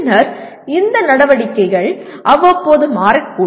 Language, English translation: Tamil, And then these activities may change from time to time